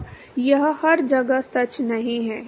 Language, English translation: Hindi, Now, that is not true everywhere